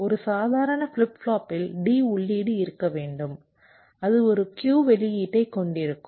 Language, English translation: Tamil, a normal flip flop will be having a d input, it will having a, it will be having a q output and it will be having a clock